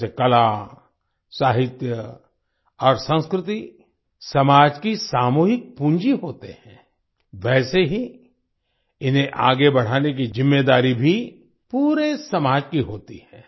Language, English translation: Hindi, Just as art, literature and culture are the collective capital of the society, in the same way, it is the responsibility of the whole society to take them forward